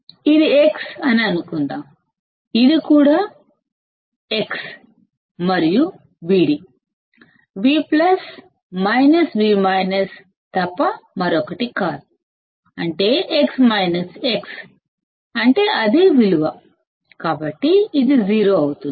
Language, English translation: Telugu, Suppose this is X; this is also X and V d is nothing but V plus minus V minus, which is, X minus X, that is, the same value, so this will be 0